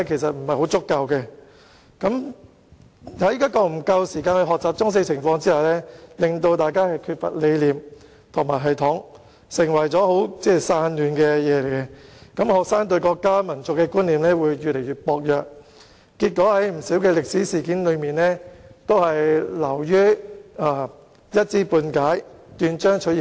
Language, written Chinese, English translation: Cantonese, 在沒有給予學生足夠時間學習中史的情況下，有關科目缺乏理念和系統，變得十分散亂，導致學生對國家民族的觀念越來越薄弱，對不少歷史事件均一知半解，斷章取義。, As a consequence the subject of Chinese History has been dismembered in effect and students have not been given enough time to learn Chinese history . In the circumstances the subject has become very disorganized with no underlying concept or system and as a result our students sense of identification with our country and our nation has been on the wane and their knowledge of many historical events has been patchy and fragmentary